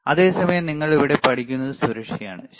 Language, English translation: Malayalam, But the same time, what you learn here is what is safety; right